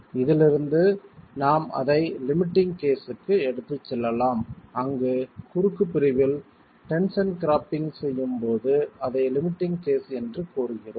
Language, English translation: Tamil, From this we can then take it to the limiting case where we said that the limiting case is when you have tension cropping into the cross section